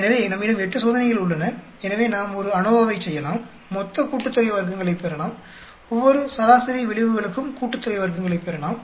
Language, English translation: Tamil, So, we have 8 experiments, so we can do an ANOVA, we can get a total sum of squares, we can get sum of squares for each of the mean effects